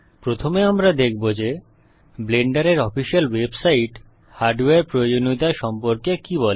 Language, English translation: Bengali, First Up, we shall look at what the official Blender website has to say about the hardware requirements